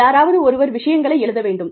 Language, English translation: Tamil, Somebody has to write things up